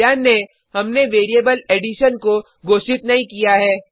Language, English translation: Hindi, Notice, we havent declared the variable addition